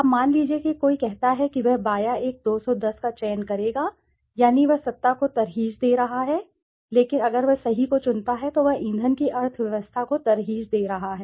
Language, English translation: Hindi, Now suppose somebody says he will choose the left one 210 that means he is preferring power, but if he chooses the right one then he is preferring the fuel economy